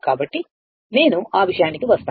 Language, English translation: Telugu, So, I will come to that